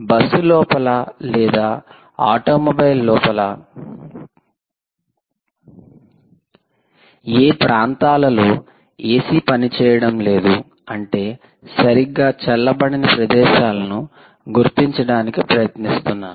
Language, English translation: Telugu, which are the regions inside the bus or an automobile where a c not working well, whereas it that its not cooling properly